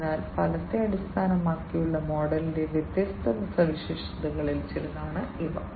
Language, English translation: Malayalam, So, these are some of the different features of the outcome based model